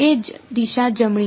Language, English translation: Gujarati, Same direction right